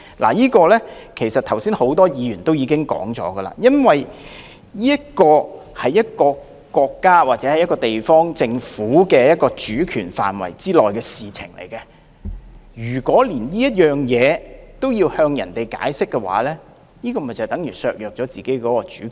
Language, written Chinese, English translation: Cantonese, 關於這一點，剛才很多議員已經說明，這是因為簽發工作簽證屬於地方政府的主權範圍，如果連這件事也要向外國解釋，就等於削弱自己的主權。, With regard to this point just now many Members have already explained that the issuance of work visas falls within the autonomy of local governments . Giving an explanation to foreign countries on such matters is tantamount to compromising our autonomy